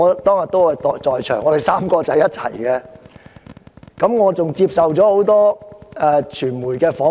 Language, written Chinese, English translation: Cantonese, 當天，我們3人待在一起，而我還接受了多間傳媒機構訪問。, That day the three of us stayed together and I even accepted many media interviews